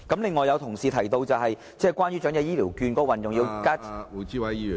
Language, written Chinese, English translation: Cantonese, 另外，有同事提到關於長者醫療券的運用......, Furthermore a colleague has mentioned the use of elderly health care vouchers